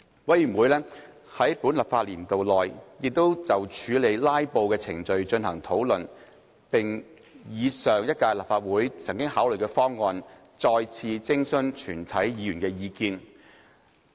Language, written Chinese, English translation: Cantonese, 委員會在本立法年度內亦就處理"拉布"的程序進行討論，並以上屆立法會曾考慮的方案，再次徵詢全體議員的意見。, The Committee also discussed the procedures for dealing with filibusters during this legislative session and once again sought views of all Members on the proposal considered by the previous term of the Legislative Council